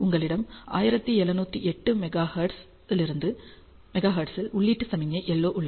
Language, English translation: Tamil, So, you have an input signal LO at 1708 Megahertz